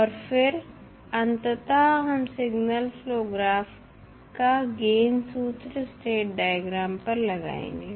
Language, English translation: Hindi, And then we finally apply the signal flow graph gain formula to the state diagram